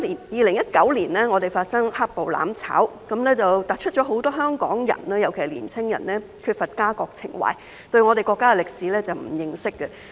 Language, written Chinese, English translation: Cantonese, 2019年，香港發生"黑暴""攬炒"，突出很多香港人，尤其是年輕人缺乏家國情懷，對我們國家的歷史並不認識。, The black - clad violence and mutual destruction that occurred in Hong Kong in 2019 have highlighted the fact that many Hong Kong people especially the young ones lack a sense of national identity and do not know much about the history of our country